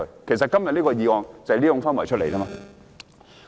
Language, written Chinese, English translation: Cantonese, 其實，今天這項議案正是源自這種氛圍。, In fact this motion today is a product of such kind of atmosphere